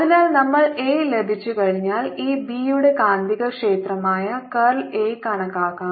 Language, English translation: Malayalam, so once we get a, we can calculate b, that is a magnetic field which is given by curl of this a